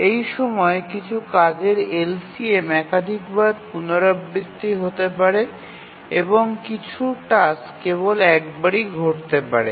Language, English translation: Bengali, During this LCM, some tasks may repeat multiple number of times and some tasks may just occur only once